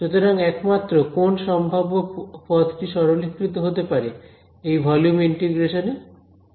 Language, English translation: Bengali, So, the only possible term that might simplify in this volume integration is which one, what about the very last term